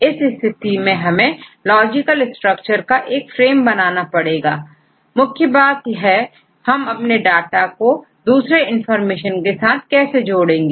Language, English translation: Hindi, So, in this case we have to frame a logical structure, the major thing is your data and how to supplement with other information right